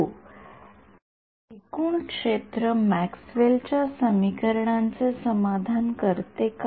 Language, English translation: Marathi, Yes does the total field satisfy Maxwell’s equations